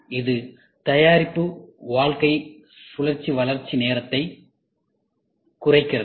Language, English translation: Tamil, This reduces the product life cycle development time